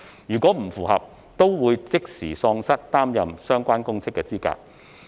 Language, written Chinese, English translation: Cantonese, 如有不符，該人亦會即時喪失擔任相關公職的資格。, Any oath taker who fails to comply will be immediately disqualified from holding the relevant public office